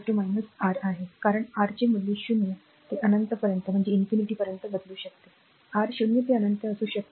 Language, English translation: Marathi, So, that is v is equal to minus R, since the value of R can vary from 0 to infinity, R may be 0 to infinity